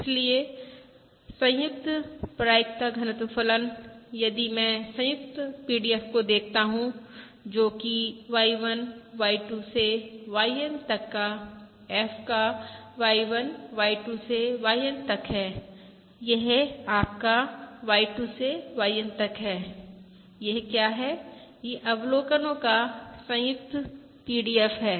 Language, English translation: Hindi, Therefore, the joint probability density function, that is, if I look at the joint PDF, that is F, of Y1, Y2… Up to YN, of Y1, Y2, that is, your Y2 up to YN, what is this